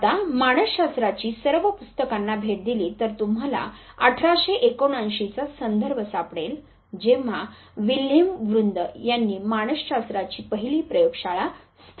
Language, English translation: Marathi, Now all text books of psychology if you visit them, you will find the reference of 1879 the year when the first laboratory of psychology was established by Wilhelm Wundt